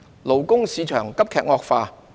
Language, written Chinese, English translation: Cantonese, 勞工市場急劇惡化。, The labour market deteriorated sharply